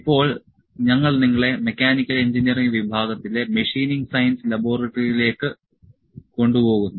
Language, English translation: Malayalam, Now, we will take you to the Machining Science Laboratory in Mechanical Engineering department